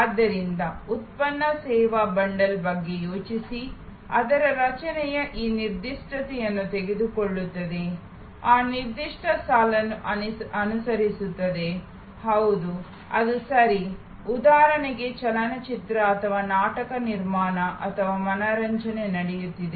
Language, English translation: Kannada, So, think about a product service bundle, the creations of which takes this particular, follows this particular line, yes, that’s is right, a movie for example or a theater production or an entertainment happening